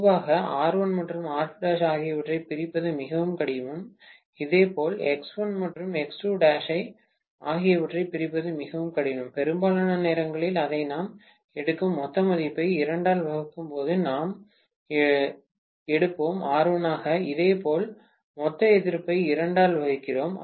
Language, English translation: Tamil, Generally it is very difficult to separate out R1 and R2 dash, similarly it is very difficult to separate out X1 and X2 dash, most of the times we take it as what we get as the total resistance, total resistance divided by 2, we will take as R1, similarly total resistance divided by 2 we will take it as R2 dash, which is okay for all practical purposes, right